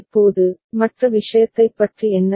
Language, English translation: Tamil, Now, what about the other thing